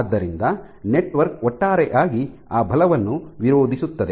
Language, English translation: Kannada, So, the network resists that force as a whole